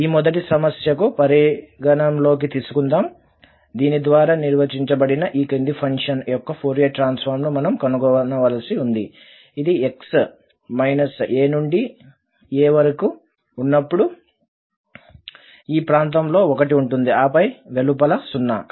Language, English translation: Telugu, So, considering this first problem where we need to find the Fourier Transform of this following function which is defined by this, so it is 1 in the region from minus a to a and then outside this, this is 0